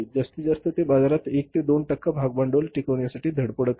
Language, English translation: Marathi, Maximum is their they are striving hard to sustain in the market having 1 to 2% market share